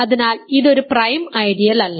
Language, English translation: Malayalam, So, it is not a prime ideal